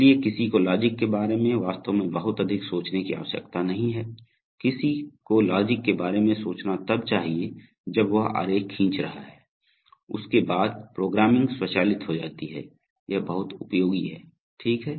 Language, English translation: Hindi, So, one need not really think too much about the logic, one should think about the logic while he is drawing the diagram, after that, the programming becomes automated, this is very useful, okay